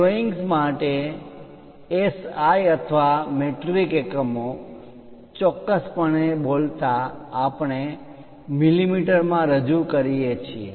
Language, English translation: Gujarati, For drawings, SI or metric units precisely speaking millimeters we represent